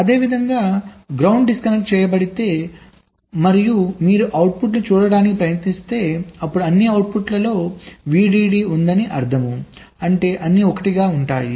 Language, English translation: Telugu, similarly, if ground is disconnected and you try to read out the outputs, you will see that all the outputs are having vdd